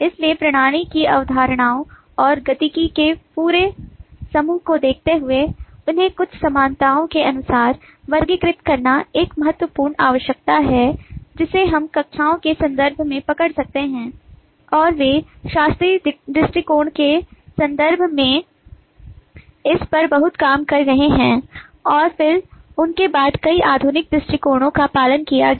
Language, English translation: Hindi, so, given the whole bunch of concepts and dynamics of the system, it is a critical requirement to classify them according to certain commonalities which we can capture in terms of the classes, and they have been a lot of work on this in terms of classical approaches, and then they were followed by several modern approaches